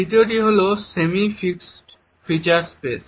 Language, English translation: Bengali, The second is the semi fixed feature space